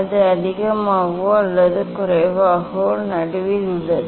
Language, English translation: Tamil, it is more or less it is in middle; it is in middle